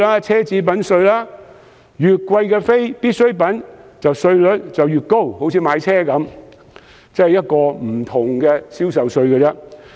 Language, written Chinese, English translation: Cantonese, 奢侈品稅方面，越昂貴的非必需品，稅率應該越高，以此作為另類的銷售稅。, As for the luxury tax the more expensive the non - essential item eg . car is the higher the tax rate should be so as to render the luxury tax an alternative sales tax